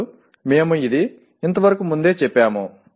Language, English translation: Telugu, Now, we have stated this earlier